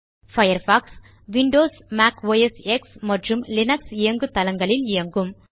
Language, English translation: Tamil, Firefox works on Windows, Mac OSX, and Linux Operating Systems